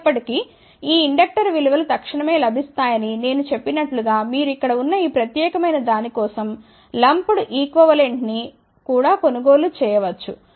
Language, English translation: Telugu, However, as I also mentioned that these inductor values are readily available, you can also purchase a lumped equivalent of this particular thing here